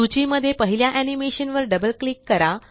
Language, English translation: Marathi, Double click on the first animation in the list